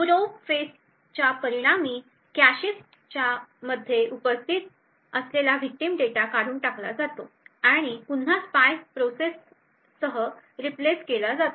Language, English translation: Marathi, As a result of the probe phase victim data which was present in the cache gets evicted out and replaced again with the spy process